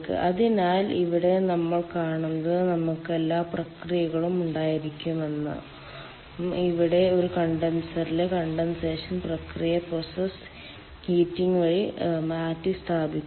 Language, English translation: Malayalam, so here what we see that we will have ah, all the processes, and here the condensation process in a condenser is replaced by process heating